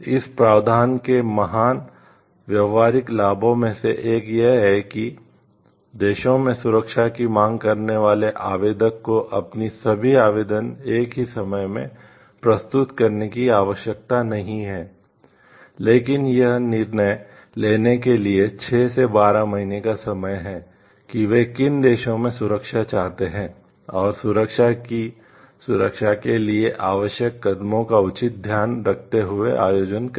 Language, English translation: Hindi, One of the great practical advantages of this provision is that applicant seeking protection in several countries are not required to present all of their applications at the same time, but have 6 to 12 months to decide in which countries they wish to seek protection and to organize with due care the steps necessary for securing protection